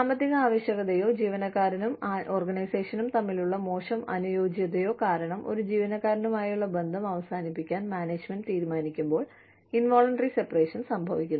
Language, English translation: Malayalam, Involuntary separation occurs, when the management decides, to terminate its relationship, with an employee, due to economic necessity, or poor fit, between the employee and the organization